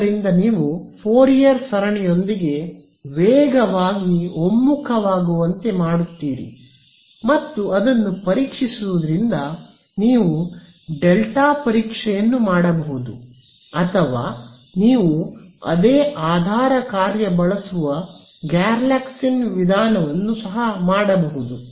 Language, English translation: Kannada, So, you make get faster convergence with Fourier series and so on, and for testing, testing its you could do delta testing or you could do Galerkins method where you use the same basis function right